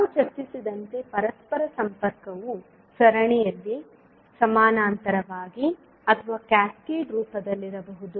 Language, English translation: Kannada, As we discussed that interconnection can be either in series, parallel or in cascaded format